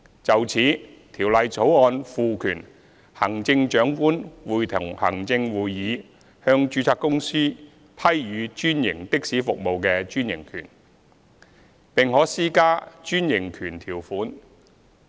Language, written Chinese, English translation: Cantonese, 就此，《條例草案》賦權行政長官會同行政會議向註冊公司批予專營的士服務的專營權，並可施加專營權條款。, In this connection the Bill empowers the Chief Executive in Council to grant the franchises for franchised taxi services to registered companies and to impose franchise terms